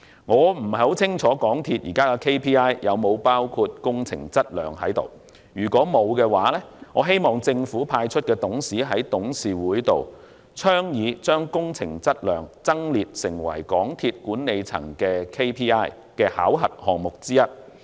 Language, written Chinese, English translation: Cantonese, 我不太清楚港鐵公司現時的 KPI 有否包含工程質量，如果沒有，我希望政府派出的董事在董事局上倡議將工程質量增列成為港鐵公司管理層 KPI 的考核項目之一。, I am not sure if the quality of capital works is included as one of the KPIs in MTRCL . If not I hope the government - appointed directors can suggest to the board making capital works quality one of the KPIs of MTRCL management